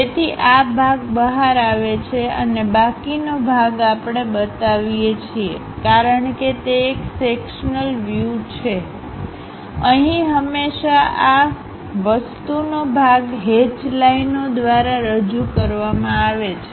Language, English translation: Gujarati, So, this part comes out and the remaining part we represent; because it is a sectional view, we always have this material portion represented by hatched lines